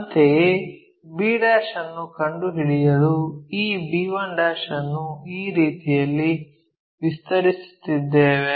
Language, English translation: Kannada, Similarly, this b 1 we are extending in such a way that we locate b'